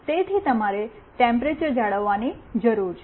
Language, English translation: Gujarati, So, you need to maintain the temperature